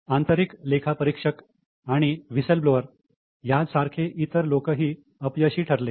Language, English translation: Marathi, Other functionaries like internal auditors and whistleblowers also proved to be failures